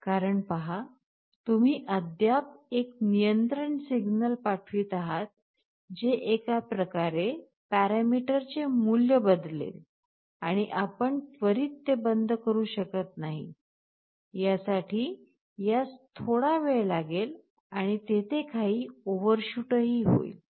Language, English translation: Marathi, Because, see you are still sending a control signal that will change the value of the parameter in one way and you cannot instantaneously shut it off, it will take some time for it and there will be some overshoot